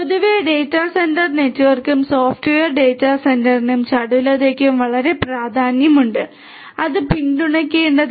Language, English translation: Malayalam, In general data centre network in general and for software data centre as well agility is very important and should be supported